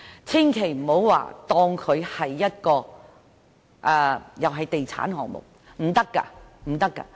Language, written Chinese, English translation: Cantonese, 千萬不要當它作地產項目，一定不可以。, The Government must not treat this as a real estate project